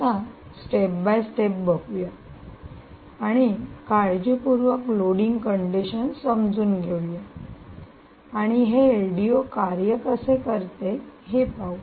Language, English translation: Marathi, lets go step by step and understand this is loading conditions carefully and let us see exactly how this l d o actually functions